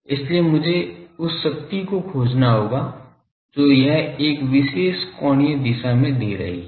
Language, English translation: Hindi, So, I will have to find the power that it is giving in a particular angular direction